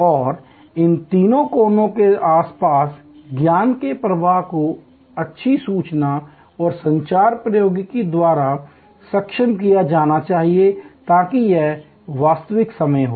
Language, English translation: Hindi, And the system that flow of knowledge around these three corners must be enabled by good information and communication technology, so that it is real time